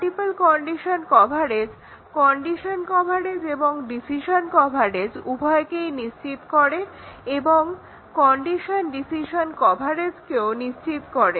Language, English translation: Bengali, The multiple condition coverage ensures both condition coverage and the decision coverage and also the condition decision coverage